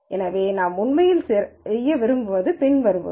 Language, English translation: Tamil, So, what we really would like to do is the following